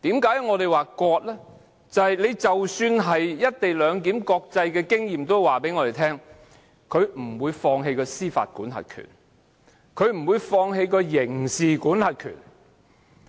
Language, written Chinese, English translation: Cantonese, 因為根據國際經驗，即使是"一地兩檢"的模式，任何一方也不會放棄其司法管轄權或刑事管轄權。, It is because according to international experience even when a co - location arrangement model is adopted neither of the places concerned will forego its jurisdiction or criminal jurisdiction over the port area